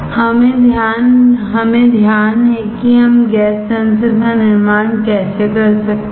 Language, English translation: Hindi, What we care is how can we fabricate the gas sensor